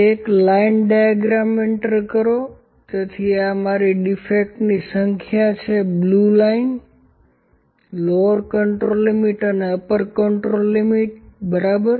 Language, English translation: Gujarati, Insert a line diagram, so this is my number of defects blue line, control limit, lower control limit and upper control limit, ok